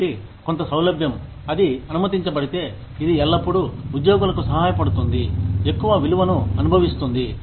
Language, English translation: Telugu, So, some flexibility, if it is allowed, it always helps the employees, feel much more valued